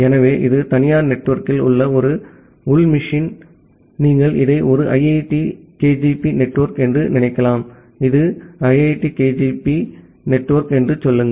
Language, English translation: Tamil, So, this is an internal machine inside the private network, you can just think of it as a IIT KGP network, say this is IIT KGP network